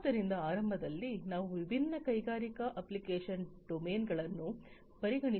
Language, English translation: Kannada, So, at the outset let us consider different industrial application domains